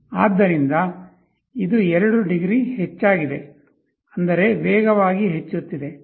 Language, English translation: Kannada, So, it has increased by 2 degrees; that means, increasing very fast